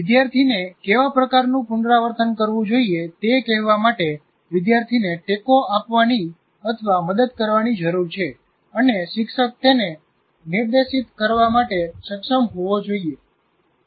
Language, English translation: Gujarati, Student needs to be supported or helped to say what kind of rehearsal he should be doing and teacher should direct that